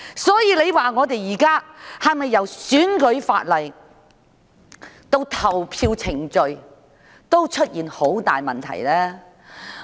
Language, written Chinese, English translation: Cantonese, 所以，現時由選舉法例到投票程序，是否出現了很大問題呢？, It was set ablaze three times in total . Hence at present from the electoral legislation to the voting procedures are there not grave problems?